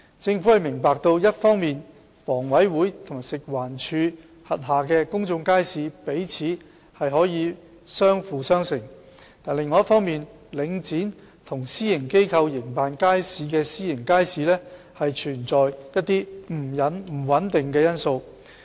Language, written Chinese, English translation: Cantonese, 政府明白一方面，房委會和食環署轄下的公眾街市彼此可相輔相成，但另一方面，領展和私營機構營辦的私營街市存在不穩定因素。, The Government understands on the one hand that public markets under HA and FEHD can complement one another yet private markets run by Link REIT and private operators carry the factor of uncertainty on the other